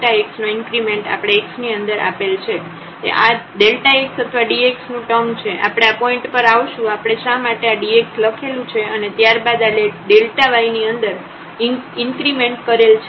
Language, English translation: Gujarati, So, this is delta x or dx term, we will come to this point why we have written this dx and then this is the increment in delta y